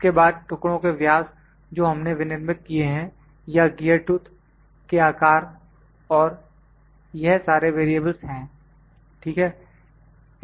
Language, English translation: Hindi, Then the diameter of the pieces that we have manufactured, the size of the gear tooth and all these are variables ok